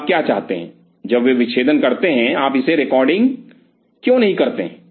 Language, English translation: Hindi, So, what do you want when they dissect, why do not you record it